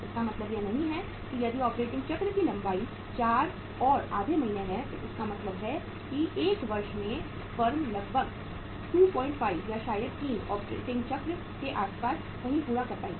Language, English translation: Hindi, It does not mean that if the operating cycle’s length is 4 and a half months it means in a year firm will be able to complete somewhere around say 2